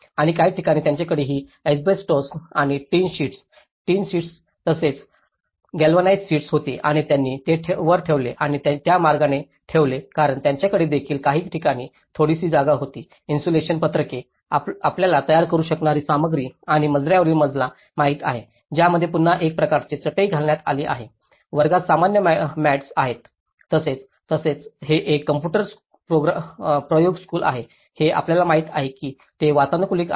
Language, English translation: Marathi, And in some places they have also had this asbestos and the tin sheet, the tin sheets as well and the galvanized sheets and they put it on the top and that way because being a hot place they also have kind of some places they had some little insulation sheets, you know the materials which can make and the flooring it has again a kind of mats which has been laid out, in classrooms there is a normal mats and as well as and this is a computer lab you know itís an air conditioned computer labs which has a semi circular trussed roof